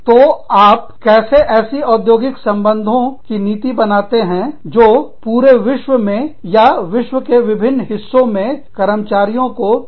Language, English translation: Hindi, So, how do you come up with, the industrial relations policy, that is acceptable to employees, all over the world, or in different parts of the world